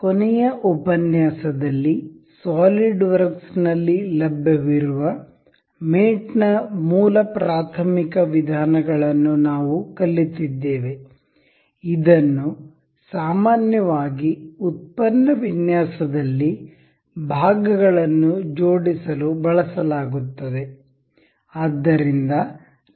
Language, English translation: Kannada, In the last lecture, we have learnt the basic elementary methods of mating that are available in solidworks that are generally used in assembling the parts in product design